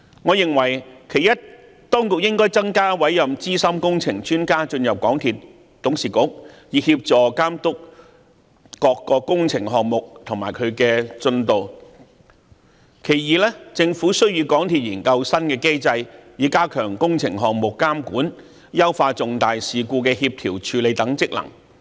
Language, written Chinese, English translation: Cantonese, 我認為其一，當局應增加委任資深工程專家進入港鐵公司董事局，以協助監督各個工程項目和進度；其二，政府需與港鐵公司研究新機制，以加強工程項目監管，優化重大事故的協調和處理等職能。, In my opinion the Government should firstly appoint more senior engineering experts to the Board of MTRCL to assist in the supervision of the implementation of various works and their progress; and secondly together with MTRCL study the establishment of new mechanisms to enhance supervision of various works and strengthen their functions in the coordination and handling of major incidents